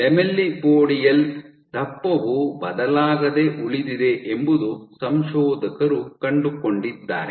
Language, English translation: Kannada, So, what the authors found was the lamellipodial thickness remains unchanged